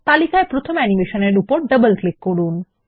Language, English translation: Bengali, Double click on the first animation in the list